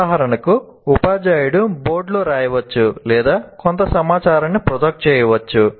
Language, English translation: Telugu, For example, the teacher can write something or project some information